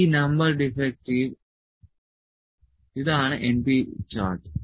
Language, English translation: Malayalam, So, this is an example of np chart